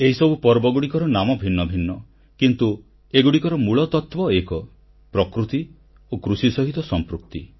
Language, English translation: Odia, These festivals may have different names, but their origins stems from attachment to nature and agriculture